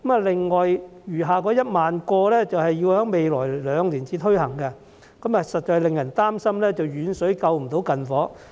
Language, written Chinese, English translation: Cantonese, 另外餘下的1萬個職位，則要在未來兩年才推行，實在令人擔心遠水不能救近火。, Since the remaining 10 000 positions will only be rolled out in the next two years we are really worried that distant water cannot put out a fire nearby